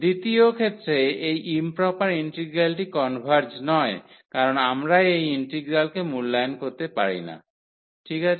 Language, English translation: Bengali, In the second case this integral the improper integral does not converge because we cannot evaluate this integral, ok